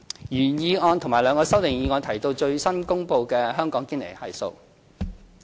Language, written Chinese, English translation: Cantonese, 原議案和兩項修正案提到最新公布的香港堅尼系數。, The original motion and two amendments mention the latest Gini Coefficient in Hong Kong